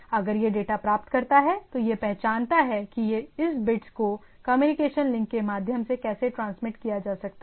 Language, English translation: Hindi, If it is a, if it receives a data how this bits can be transmitted to the through the communication link